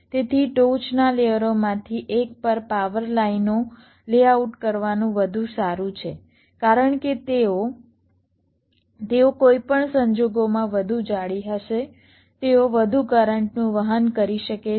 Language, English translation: Gujarati, so it is better to layout the power lines on one of the top layers because they will be, they will be thicker in any case, they can carry more currents